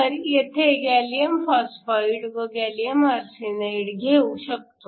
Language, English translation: Marathi, So, I can have gallium phosphide and gallium arsenide